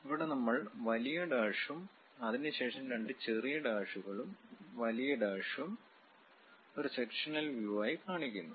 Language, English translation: Malayalam, And here we are showing long dash followed by two short dashes, long dash and so on as a sectional view